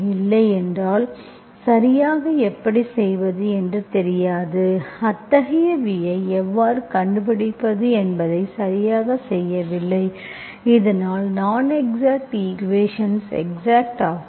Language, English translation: Tamil, Otherwise we do not know how to exactly, we do not do exactly how to find such a v so that the non exact equation becomes exact, okay